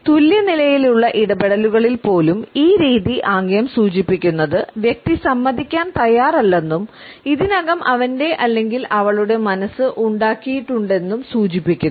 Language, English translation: Malayalam, Even in those interactants who are on an equal footing, this type of gesture indicates that the person is not willing to concede and has already made up his or her mind